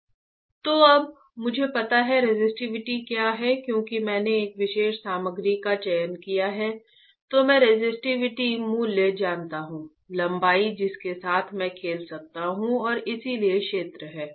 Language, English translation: Hindi, So, I know the resistivity value, right length I can play with and so, is the area right